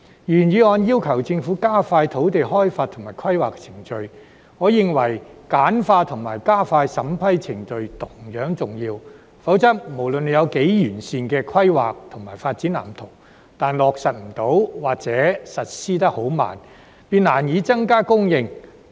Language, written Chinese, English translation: Cantonese, 原議案要求政府加快土地開發及規劃程序，而我認為簡化和加快審批程序同樣重要；否則，就算有多完善的規劃及發展藍圖，但落實不到或實施得很慢，便難以增加供應。, While the original motion requests the Government to expedite the land development and planning procedures I am of the view that it is equally important to streamline and expedite the approval procedures; otherwise no matter how perfect the planning and layout plans are implementation will be impossible or very slow and land supply can hardly be increased